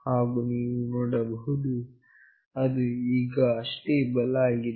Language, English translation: Kannada, And you can see that it is now stable